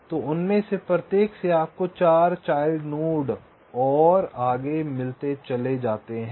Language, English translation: Hindi, so from each of them you get four child nodes and so on